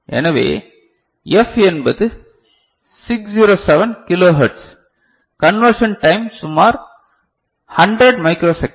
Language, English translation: Tamil, So, the f is 607 kilo hertz right, conversion time is roughly 100 microsecond